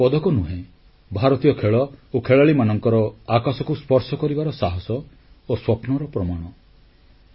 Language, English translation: Odia, These are not just medals but an evidence of the sky high spirits of the Indian players